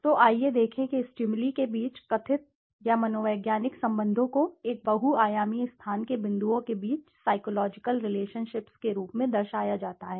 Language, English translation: Hindi, So, let us see perceived or psychological relationships among stimuli are represented as a geometric relationship among points in a multidimensional space